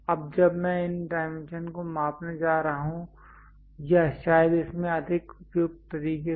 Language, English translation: Hindi, Now, when I am going to measure these dimension or perhaps this one in a more appropriate way